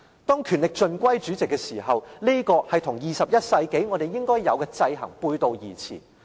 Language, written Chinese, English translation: Cantonese, 當權力盡歸主席時，這和21世紀我們應有的制衡背道而馳。, The vesting of all power in the President runs counter to the checks and balances system which should prevail in the 21 century